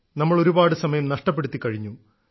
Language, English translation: Malayalam, We have already lost a lot of time